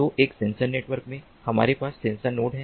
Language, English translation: Hindi, so in a sensor network we have sensor nodes